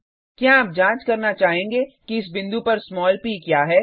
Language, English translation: Hindi, Would you want to check what small p is at this point